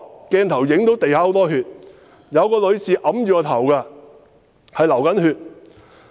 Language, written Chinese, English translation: Cantonese, "鏡頭影到地上有很多血，有一位女士按着頭，她在流血。, On the screen we could see a lady covering her head with her hand and she was bleeding